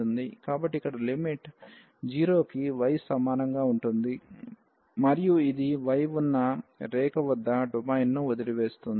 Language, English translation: Telugu, So, the limit here will be like y is equal to 0 and it is leaving the domain exactly at this line where y is equal to x